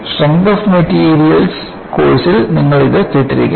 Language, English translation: Malayalam, This, you might have heard in a course in strength of materials